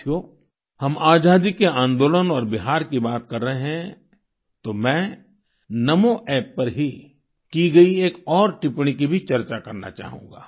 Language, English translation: Hindi, as we refer to the Freedom Movement and Bihar, I would like to touch upon another comment made on Namo App